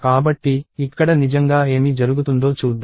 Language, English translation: Telugu, So, let us see, what really happens here